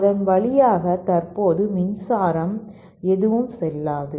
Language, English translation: Tamil, There is no current passing through it